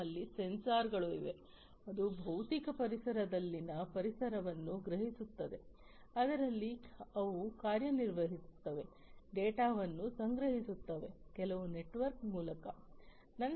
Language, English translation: Kannada, So, we have over here, we have sensors, which will sense the environment in the physical environment in which they operate, collect the data pass it, through some network